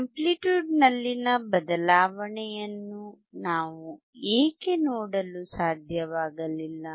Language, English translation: Kannada, Why we were not able to see the change in the amplitude